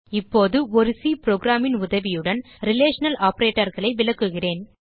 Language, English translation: Tamil, Now I will demonstrate the relational operators with the help of a C program